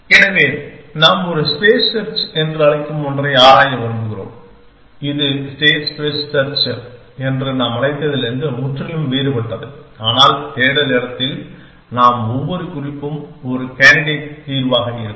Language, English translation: Tamil, So, we want to explore something which we will call a solutions space search which is lot radically different from what we called as state space search, but except for the fact that we will in the search space every note will be a candidate solution essentially